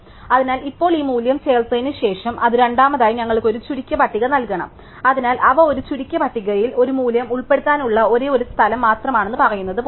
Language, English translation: Malayalam, So, now after adding this value it must second give us a sorted list, so it is like saying that they was only one place to insert a value in a shorted list